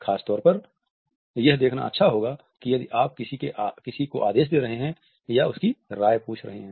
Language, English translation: Hindi, It is good to look for this if you are giving someone orders or asking their opinions